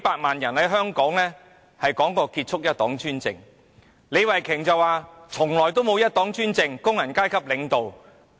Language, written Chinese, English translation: Cantonese, 李慧琼議員剛才表示，"一黨專政"從來不存在，中國由工人階級領導。, Ms Starry LEE said just now that one - party dictatorship has never existed given that China has been under the rule of the working class